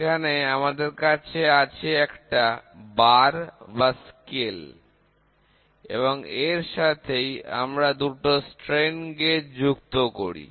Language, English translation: Bengali, So, here we have a bar or a scale, whatever it is and then we attach 2 strain gauges